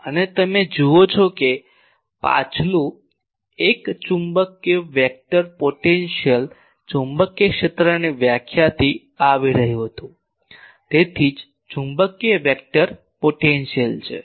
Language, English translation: Gujarati, And you see the previous one was magnetic vector potential the magnetic was coming from this because this definition was coming from magnetic field definition, that is why magnetic vector potential